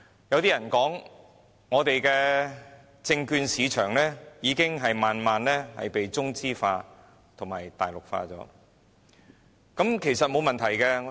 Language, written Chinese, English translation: Cantonese, 有人說，我們的證券市場已慢慢中資化及大陸化，其實，這是沒問題的。, Some say that our securities market has gradually turned very Chinese and Mainlandized . Actually there is no problem with this at all